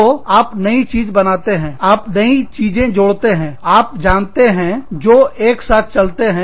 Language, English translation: Hindi, So, you innovate, you add things that, you know, are going together